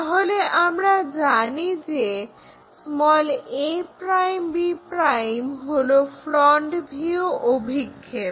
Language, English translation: Bengali, So, we know a ' b ' is the front view projection